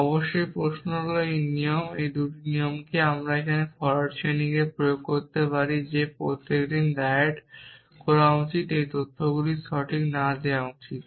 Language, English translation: Bengali, Of course, know the question is shall should this rule and this these 2 rules can we apply forward chaining here to that everyone should diet not given these facts right